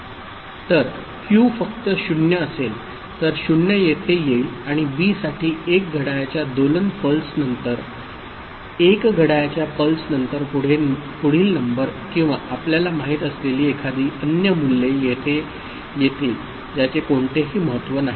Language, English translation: Marathi, So, Q will be 0 only so, 0 will be coming here right and for B after 1 clock pulse; after 1 clock pulse the next number or some other value you know, which is of no significance will come here